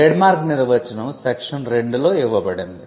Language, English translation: Telugu, Trademark is defined in section 2